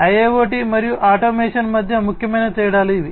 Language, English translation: Telugu, So, these are the key differences between IIoT and Automation